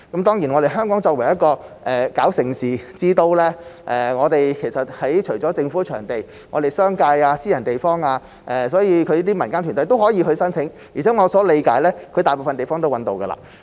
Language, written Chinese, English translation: Cantonese, 當然，香港作為盛事之都，除了政府的場地，也有商界和私人場地供這種民間團體申請，而且據我理解，大部分賽事已經找到場地。, As Hong Kong is a events capital in addition to government venues the business sector and the private sector also provide venues for booking by such kind of non - governmental organizations . According to my understanding venues for most of the competitions have been identified